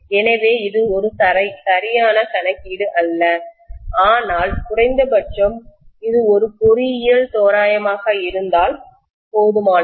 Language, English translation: Tamil, So it is not an exact calculation but at least it is good enough as an engineering approximation